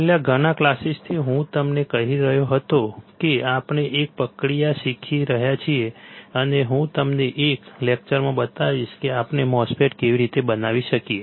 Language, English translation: Gujarati, From last several classes, I was telling you that we are learning a process, and I will show you in one of the lectures how we can fabricate a MOSFET